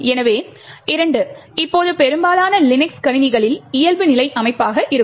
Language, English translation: Tamil, So, this 2 now is the default setting in most Linux systems